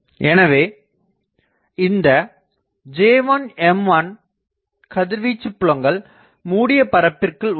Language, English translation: Tamil, So, these J1 M1 they are radiating fields